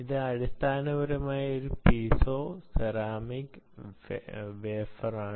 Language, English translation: Malayalam, material wise it is piezoceramic, it is a wafer